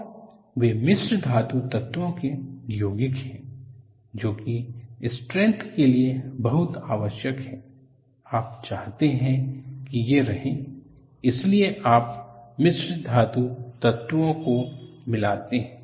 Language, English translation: Hindi, And they are compounds of alloying elements, they are very essential for strength, you want to have them; that is why, you add alloying elements